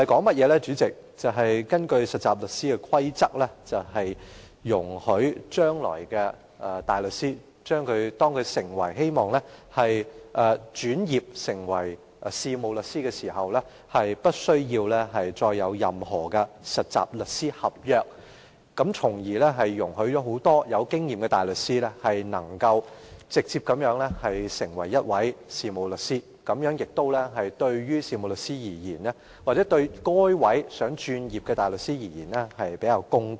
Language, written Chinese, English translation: Cantonese, 代理主席，《2017年實習律師規則》的內容是，容許大律師在將來如果擬轉業成為事務律師時，無須根據實習律師合約受僱，從而讓很多富經驗的大律師直接成為事務律師，這樣對於事務律師或有意轉業的大律師而言會較為公道。, Deputy President the Trainee Solicitors Amendment Rules 2017 exempts barristers who intend to become solicitors from employment under a trainee solicitor contract thereby allowing more seasoned barristers to become solicitors directly . This is a relatively fair arrangement to solicitors or barristers who intend to become solicitors